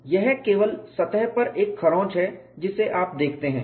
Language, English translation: Hindi, There is no crack front it is only a surface scratch that you see